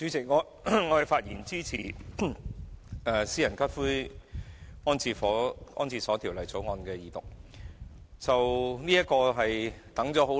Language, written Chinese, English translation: Cantonese, 主席，我發言支持《私營骨灰安置所條例草案》的二讀。, President I speak in support of the Second Reading of the Private Columbaria Bill the Bill